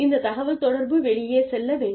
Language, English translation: Tamil, And this, so this communication should, go out